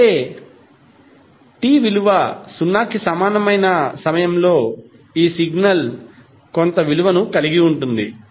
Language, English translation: Telugu, It means that at time t is equal to 0, this signal has some value